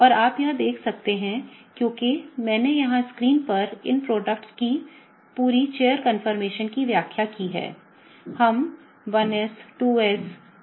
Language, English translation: Hindi, And you can see that, because I have illustrated the whole chair conformations of these products on the screen, here